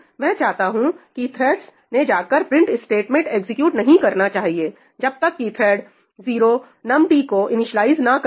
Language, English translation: Hindi, I want that the threads should not go and execute the print statement until thread 0 has initialized num t, right